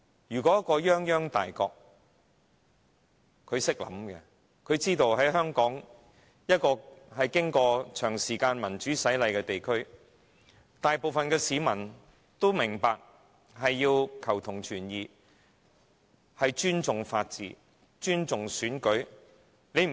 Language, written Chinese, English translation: Cantonese, 如果泱泱大國懂得思考，便明白到香港是一個經過長時間民主洗禮的地方，大部分市民都明白要求同存異，尊重法治、尊重選舉。, If such a great nation like this is thoughtful enough she ought to understand that Hong Kong has gone through the prolonged baptism of democracy . The majority of its people understands the importance of diversity in unity that one should respect the rule of law and elections